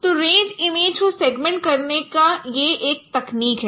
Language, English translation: Hindi, So this is one technique of segmenting range images